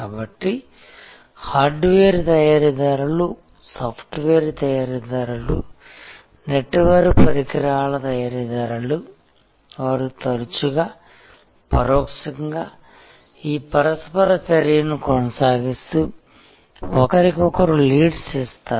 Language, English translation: Telugu, So, hardware manufacturers, software manufacturers, network equipment manufacturers they often indirectly keep this interactions going and give each other leads